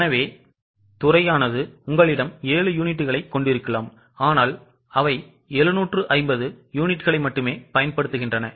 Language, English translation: Tamil, So, department could have used 7 units but they have used only 750 units